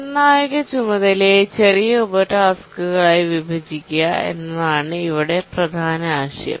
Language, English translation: Malayalam, The main idea here is that we divide the critical task into smaller subtasks